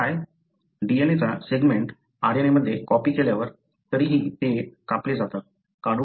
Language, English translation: Marathi, The segment of DNA, when copied into RNA, anyway they are spliced out, removed